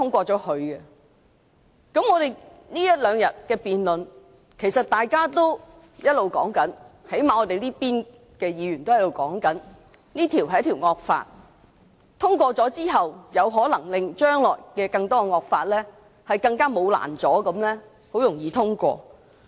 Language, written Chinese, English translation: Cantonese, 在這兩天的辯論中，其實大家也一直在討論，最少我們這邊的議員也一直說，這是一項引致惡果的修訂，通過之後，將來有可能令更多惡法更毫無阻攔地通過。, During the debates in these two days Members have been discussing at least Members on this side have been saying that the amendments will cause harmful effects . After the amendments are passed many more draconian laws may be enacted without any obstructions in the future